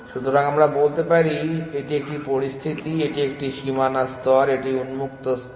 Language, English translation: Bengali, So let us say this is a situation this is a boundary layer this is the open layer